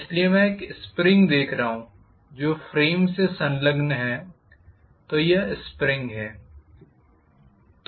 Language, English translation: Hindi, So I am showing a spring which is attached to your frame